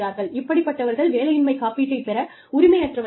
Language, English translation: Tamil, You do not need to give them, unemployment insurance